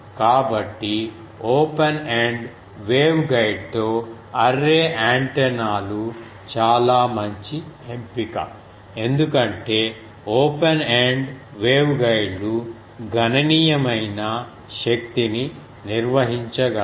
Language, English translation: Telugu, So array antennas with open ended waveguide is the very good choice because the open ended waveguides can handle sizeable amount of power